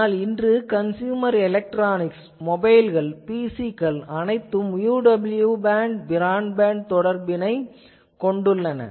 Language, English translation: Tamil, But, nowadays in consumer electronics mobile device devices and PCs all have UWB broadband connectivity built in